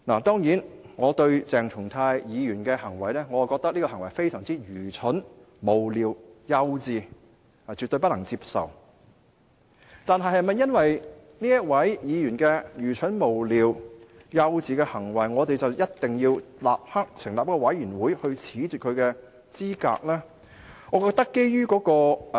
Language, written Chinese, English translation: Cantonese, 當然，我認為鄭松泰議員的行為非常愚蠢、無聊和幼稚，絕對不能接受，但是否因為議員愚蠢、無聊和幼稚的行為而一定要立刻成立一個調查委員會褫奪其資格呢？, But is it justified to take this course of action? . Certainly I consider Dr CHENG Chung - tais behaviour very stupid frivolous childish and absolutely unacceptable . But is it because of the stupid frivolous and childish conduct of a Member that an investigation committee must be set up to disqualify him from office?